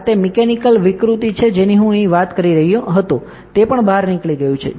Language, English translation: Gujarati, This is the mechanical deformation that I was talking about here also it has bulged out